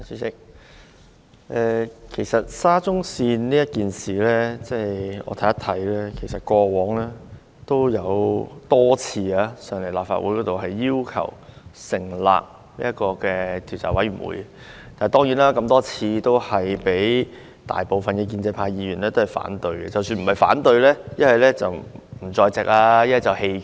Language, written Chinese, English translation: Cantonese, 主席，就沙田至中環線的事件，我們過往曾多次在立法會要求成立調查委員會，但多次遭大部分建制派議員反對，即使不是表決反對，他們要不就缺席，要不就棄權。, President we have made multiple requests in the past for the forming of a select committee by the Legislative Council to inquire into the incidents concerning the Shatin to Central Link SCL . Yet these efforts were thwarted by the majority of the pro - establishment Members with their absence or abstentions if not outright opposition at the votes